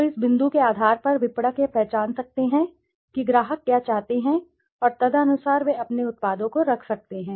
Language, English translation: Hindi, So the point is on the basis of this marketers can identify what customers want and accordingly they can place their products